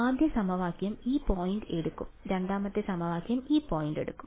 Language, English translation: Malayalam, So, first equation will take this point second equation will take this point and so on